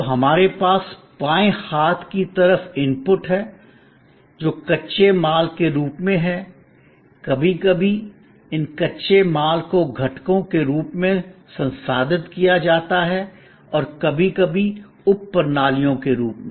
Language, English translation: Hindi, So, we have on the left hand side inputs, which are coming as raw material, sometimes these raw materials are processed as components, sometimes as sub systems